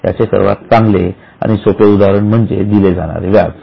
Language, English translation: Marathi, The best and simple example is payment of interest